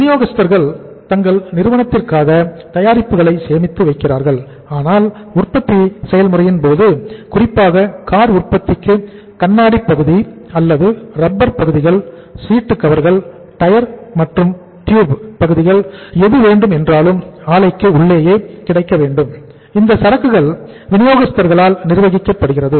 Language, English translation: Tamil, Suppliers store their products for the company so as and when the manufacturing process, car requires, cars manufacturing requires glass, part or the rubber parts or the seats or the seat covers or the say tyre then tubes and anything that is available within the plant, the inventory is being managed by the supplier